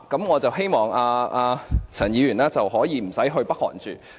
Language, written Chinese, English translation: Cantonese, 我希望陳議員暫時不用前往北韓。, I hope Ms CHAN will not need to go to North Korea for the time being